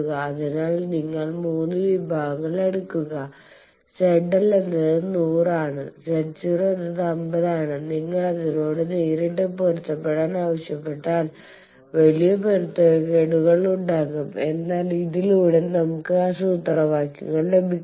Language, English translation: Malayalam, So, it is said you take 3 sections, you take 3; Z L is 100, z 0 is 50 you see if you directly ask them to match there will be huge mismatch, but by this we have those formulas